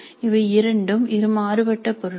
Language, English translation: Tamil, These two are two different things